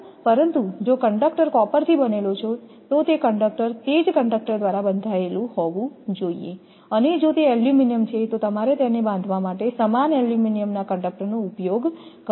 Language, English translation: Gujarati, So, the way the conductor are tied right, but if the conductor is made of copper then it should by same conductor you have to tie and if it is a aluminum then same aluminum conductor you should use to tie it up right